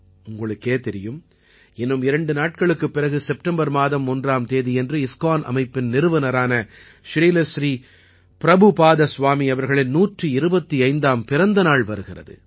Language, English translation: Tamil, You know that just after two days, on the 1st of September, we have the 125th birth anniversary of the founder of ISKCON Shri Prabhupaad Swami ji